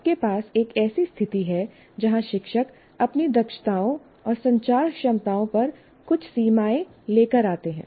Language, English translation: Hindi, Teachers come with some limitations on their competencies and communication abilities